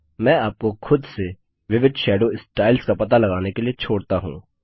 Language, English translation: Hindi, I will leave you to explore the various Shadow styles, on your own